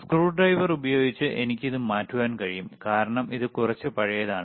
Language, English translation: Malayalam, I can change it using the screwdriver, right this is , because it is a little bit old